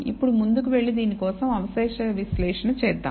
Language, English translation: Telugu, Now let us go ahead and do the residual analysis for this